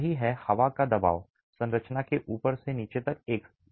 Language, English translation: Hindi, That is wind pressure is uniform from the top to the bottom of the structure